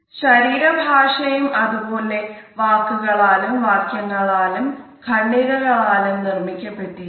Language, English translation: Malayalam, Body language is also made up of similarly words, sentences and paragraphs